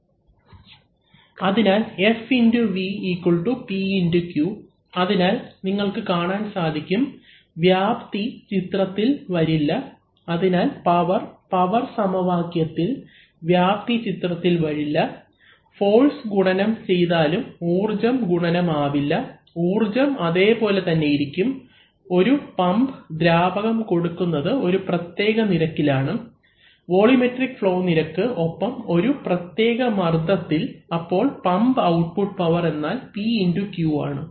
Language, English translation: Malayalam, So F into V equal to P into Q, so you see that the area does not come into the picture, so the power, in the power equation the area does not come into the picture and even if you multiply the force the energy does not get multiplied, how can you get multiplied, so energy is the same, for a pump as we know a pump delivers a fluid at a certain rate, volumetric flow rate and at a certain pressure and the pump output power is simply P into Q